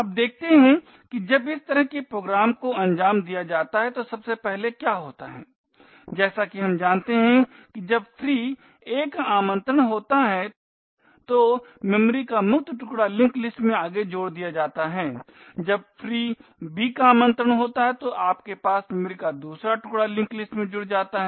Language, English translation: Hindi, Now let us look what happens internally when such a program executes, first as we know when free a gets invoked the freed chunk of memory is added to the linked list next when free b gets invoked you would have a second chunk of memory added to the linked list now the link list pointers are appropriately adjusted so that the forward pointer corresponding to a wants to b and back pointer of b points to a and vice versa as well